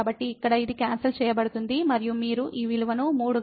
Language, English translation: Telugu, So, here this gets cancelled and you will get this value as 3